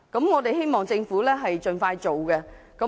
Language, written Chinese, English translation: Cantonese, 我們希望政府盡快展開有關工作。, We hope the Government will launch such work expeditiously